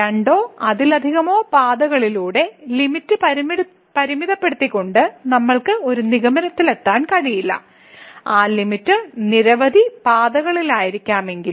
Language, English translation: Malayalam, But we cannot conclude by evaluating the limit along two or many paths that this is the limit, even though that limit may be same along several paths